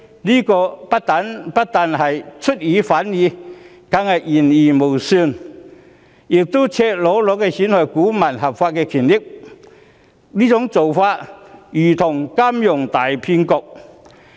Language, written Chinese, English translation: Cantonese, 這不但出爾反爾，更是言而無信，亦是赤裸裸地損害股民的合法權益，做法如同金融大騙局。, HSBC has not only gone back on its words but also blatantly undermined the legitimate rights and interests of shareholders which is tantamount to a big financial scam